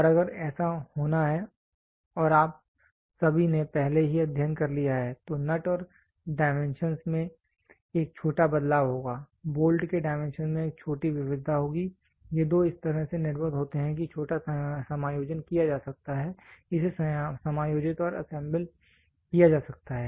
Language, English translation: Hindi, And if that has to happen and you all we have already studied the nut will have a small variation in the dimensions, the bolt will have a small variation of the dimensions, these 2 are produced in such a fashion that they can get they can small adjustments can be made it can get adjusted and assembled